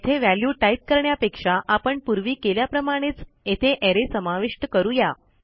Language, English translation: Marathi, Instead of putting a value here, as we did before, we have an array inside